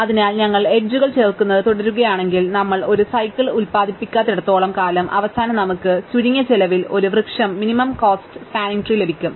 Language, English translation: Malayalam, So, if we keep adding edges, so long as we do not produce a cycles and at the end the claim is we get a minimum cost spanning tree